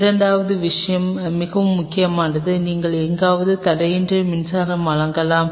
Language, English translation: Tamil, Second thing which is very important is you may of for uninterrupted power supply somewhere in do this set up